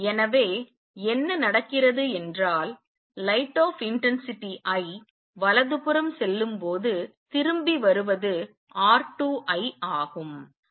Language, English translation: Tamil, So, what happens is when light of intensity I goes to the right what comes back is R 2 I